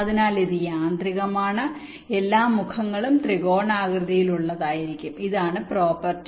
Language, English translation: Malayalam, ok, so it is automatic, and all the faces will be triangular in nature